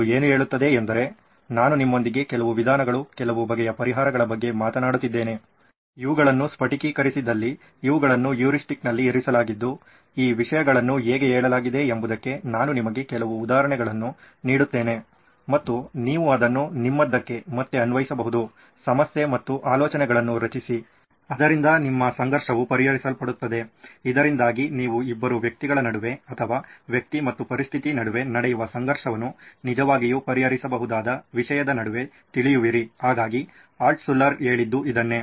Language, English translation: Kannada, What it says is like I was talking to you about certain methods, certain types of solutions, these where crystallized these were put into heuristics of saying I will give you some examples of how these things are worded and you can actually apply it back to your problem and generate ideas so that your conflict is resolved, so that you know between two humans or between a human and a thing you can actually resolve the conflict, so this is what Altshuller had said